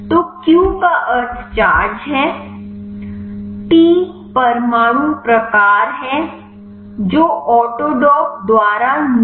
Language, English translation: Hindi, So, Q stands for the charge, T is the atom type which is specified by the autodock